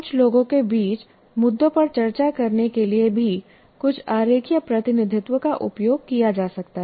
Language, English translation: Hindi, You can use a diagram, some diagrammatic representation even to discuss issues between several people